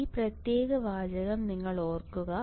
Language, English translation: Malayalam, So, you have to note this particular sentence